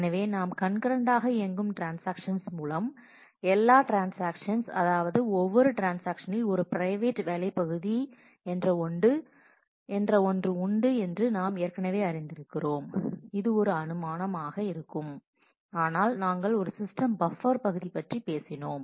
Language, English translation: Tamil, So, with Concurrent Transaction, all transactions share we already know that every transaction is a private work area that assumption stays, but we talked about a system buffer area